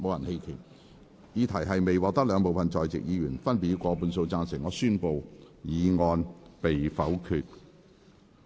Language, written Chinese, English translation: Cantonese, 由於議題未獲得兩部分在席議員分別以過半數贊成，他於是宣布議案被否決。, Since the question was not agreed by a majority of each of the two groups of Members present he therefore declared that the motion was negatived